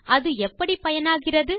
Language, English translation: Tamil, Now how is that useful